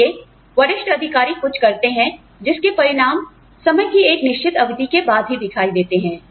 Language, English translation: Hindi, So, senior executives do something, the results of which, become visible, only after a certain period of time